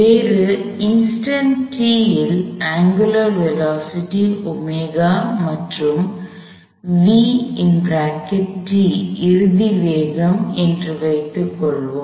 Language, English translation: Tamil, At some other instant t, let say omega is the angular velocity and V is the final velocity